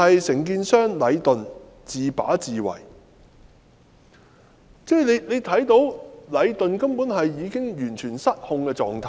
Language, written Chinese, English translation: Cantonese, 承建商禮頓完全是自把自為，大家也看到禮頓已處於完全失控的狀態。, The contractor Leighton is acting arbitrarily at its own will . We can see that Leighton is completely out of control